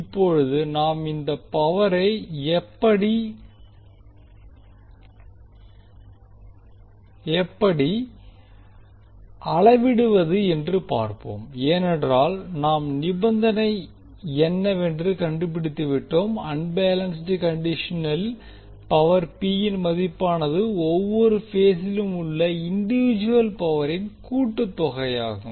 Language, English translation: Tamil, Now let us see how we will measure this power because we have found the condition that under unbalanced condition we will get the value of power P as a sum of individual powers in each phase